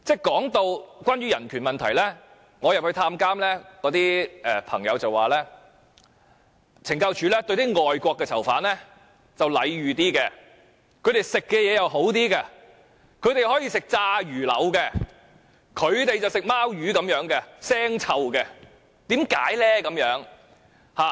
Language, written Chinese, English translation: Cantonese, 談到有關人權問題，我到監獄探監，那些囚友告訴我，懲教署對外國的囚犯較為禮遇，他們膳食也較好，例如可以吃炸魚柳，而本地囚友卻要吃腥臭的"貓魚"。, Regarding the issue of human rights I was told when visiting the prisoners that CSD treats foreign prisoners more preferentially . They are treated with better food like they can have fried fish fillets while local prisoners only have rotten fishes for cats